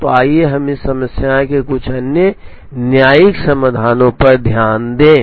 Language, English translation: Hindi, So, let us look at some other heuristic solutions to this problem